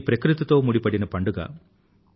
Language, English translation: Telugu, This is a festival linked with nature